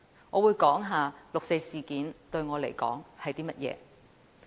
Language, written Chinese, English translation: Cantonese, 我會談談六四事件於我而言是甚麼一回事。, I will talk about what the 4 June incident is to me